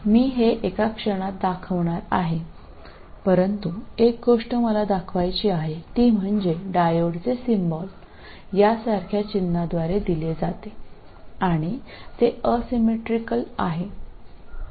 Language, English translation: Marathi, But one thing I have to show is the diode is represented by a symbol like this and it is asymmetrical